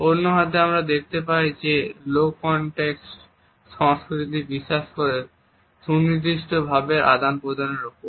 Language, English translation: Bengali, On the other hand we find that the low context culture believes in a precise communication